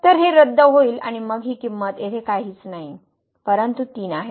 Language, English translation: Marathi, So, this gets cancelled and then this value here is nothing, but 3